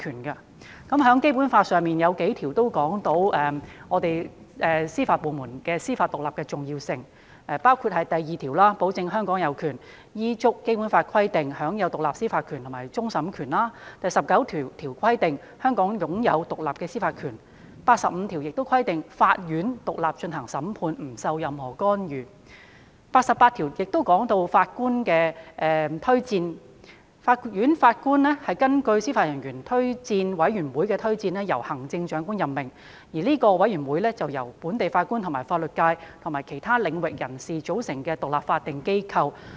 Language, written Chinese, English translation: Cantonese, 《基本法》中有數項條文，闡明了司法部門享有司法獨立的重要性，包括第二條保證了香港有權依照《基本法》的規定，享有獨立的司法權和終審權；第十九條規定，香港享有獨立的司法權；第八十五條亦規定，法院獨立進行審判，不受任何干涉；第八十八條亦提到，法院的法官是根據司法人員推薦委員會的推薦，由行政長官任命，而該委員會是由本地法官及法律界和其他領域人士組成的獨立法定機構。, There are several provisions in the Basic Law expounding the importance of judicial independence of the Judiciary . These provisions include Article 2 which guarantees that Hong Kong enjoys independent judicial power including that of final adjudication in accordance with the provisions of the Basic Law; Article 19 which stipulates that Hong Kong shall be vested with independent judicial power; Article 85 which also stipulates that the Courts shall exercise judicial power independently free from any interference; Article 88 which also mentions that Judges of the Courts shall be appointed by the Chief Executive on the recommendation of the Judicial Officers Recommendation Commission which is an independent statutory body composed of local Judges persons from the legal profession and other sectors